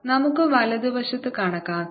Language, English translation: Malayalam, let's calculate the right hand side